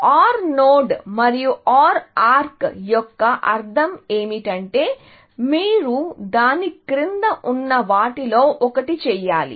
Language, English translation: Telugu, The meaning of an OR node and OR arc is that you have to do one of the things below that